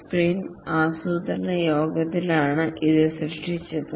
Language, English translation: Malayalam, This is created during the sprint planning meeting